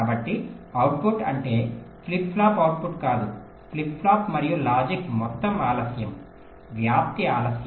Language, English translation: Telugu, so output means not the output of the flip flop, flip flop plus the logic, the total propagation delay starting from the clock edge